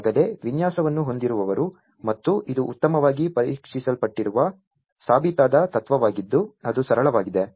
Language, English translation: Kannada, Those who have already up with a design and it is a well tested well proven principle that is simpler